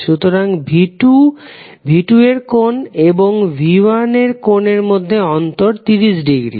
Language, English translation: Bengali, So, V2 angle of V2 minus angle of V1 will be 30 degree